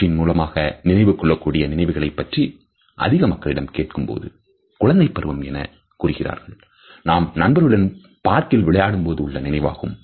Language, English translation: Tamil, Ask most people about a memory that they can visually recall in their brain you know may be a childhood memory when they were playing in the park with friends